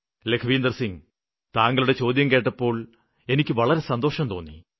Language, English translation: Malayalam, Lakhwinder Singh ji, 'I am happy to hear your message